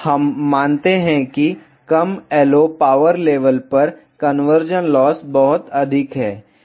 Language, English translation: Hindi, We observe that at lower LO power levels, the conversion loss is very high